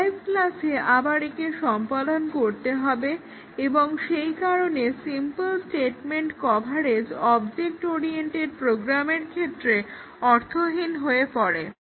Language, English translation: Bengali, It has to be again executed in the derived class and therefore, simple statement coverage is rather meaningless in the context of object oriented programs